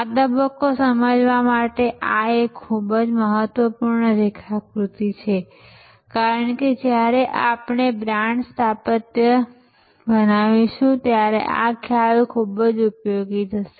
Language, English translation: Gujarati, And this is a very important diagram to understand at this stage, because when we create the brand architecture this concept will be very useful